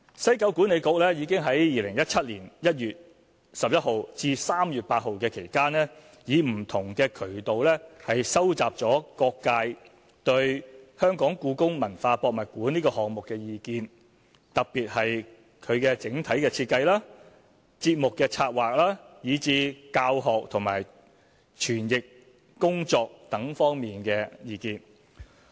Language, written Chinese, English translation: Cantonese, 西九管理局已在2017年1月11日至3月8日期間以不同渠道收集各界對故宮館項目的意見，特別是其整體設計、節目策劃以至教學和詮釋工作等方面的意見。, From 11 January to 8 March 2017 WKCDA collected public views through various channels on the HKPM project particularly on its design programming learning and interpretation opportunities . WKCDA organized and took part in a range of public consultation activities to involve the public and stakeholders and to collect their views using a more qualitative approach